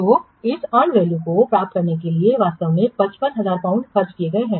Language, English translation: Hindi, So, to get this and value actually 55,000 pound had been spent